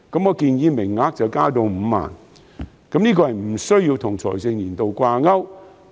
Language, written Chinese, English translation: Cantonese, 我建議名額增至5萬個，無須與財政年度掛鈎。, I propose to increase the number of places to 50 000 which do not have to be linked to the fiscal year